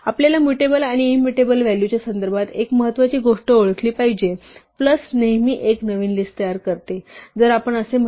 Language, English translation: Marathi, One important thing to recognise in our context of mutable and immutable values is that plus always produces a new list